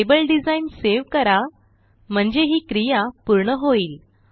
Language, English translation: Marathi, Now let us save the table design and we are done